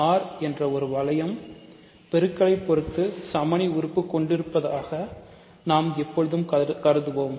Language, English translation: Tamil, So, we will always assume R has rings have multiplicative identity